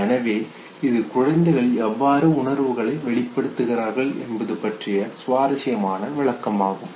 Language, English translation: Tamil, So this is an interesting explanation of how infants, they develop how to express themselves okay